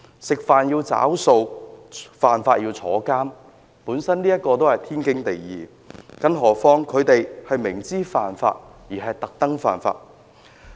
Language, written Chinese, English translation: Cantonese, 吃飯要找數，犯法要坐牢，本來是天經地義的，更何況他們明知犯法而故意犯法。, It is a universally accepted that people should pay for their meals and go to jail for violating the law not to mention an attempt made knowingly to deliberately violate the law